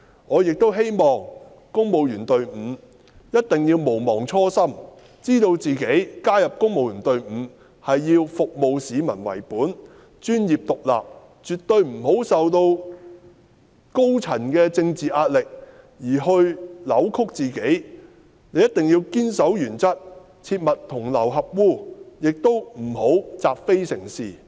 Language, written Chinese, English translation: Cantonese, 我亦希望公務員隊伍一定要毋忘初心，知道自己加入公務員隊伍是以服務市民為本，並能專業獨立地處事，絕對不要因受高層的政治壓力而扭曲自己的想法；一定要堅守原則，切勿同流合污，亦不要習非成是。, I also hope that the civil servants never forget where they started namely joining the civil service to serve the public and can act in such a professional and independent manner that their own thoughts will absolutely not be distorted under political pressure from authority . They must firmly adhere to the principles and never be complicit in evil nor justify long - standing wrongs